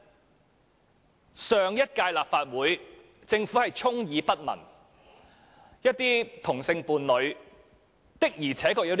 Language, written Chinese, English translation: Cantonese, 在上屆立法會，政府對此充耳不聞，但有些同性伴侶確實會有此需要。, In the last term of the Legislative Council the Government turned a deaf ear to this matter but some same - sex partners will really have such a need